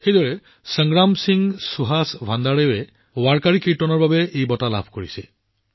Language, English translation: Assamese, On the other hand, Sangram Singh Suhas Bhandare ji has been awarded for Warkari Kirtan